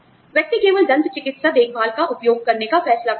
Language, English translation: Hindi, You know, the person decides to use, only dental care